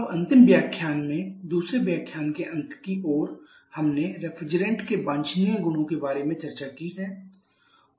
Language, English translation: Hindi, Now in the last lecture towards the end of the second lecture we have discussed about the desirable properties of the refrigerants